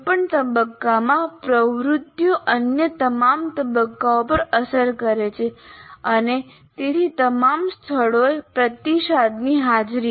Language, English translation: Gujarati, Activities any phase have impact on all other phases and hence the presence of feedbacks at all places